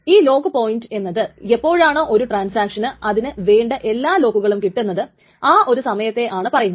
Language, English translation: Malayalam, So, a lock point is the time when a transaction gets all the locks